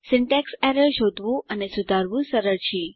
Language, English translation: Gujarati, Syntax errors are easy to find and fix